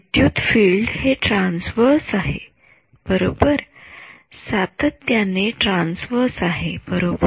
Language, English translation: Marathi, Electric field is transverse right consistently right